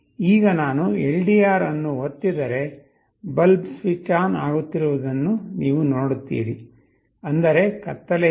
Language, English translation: Kannada, Now if I press the LDR, you see the bulb is getting switched on; that means, there is darkness